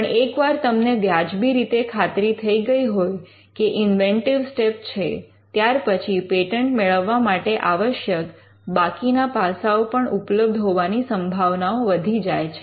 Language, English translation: Gujarati, Because once you are reasonably confident about the inventive step, then the chances of the patent being granted other things being satisfied are much better